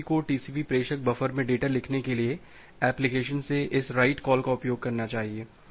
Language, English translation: Hindi, TCP get uses this write calls from the application to write the data in the TCP sender buffer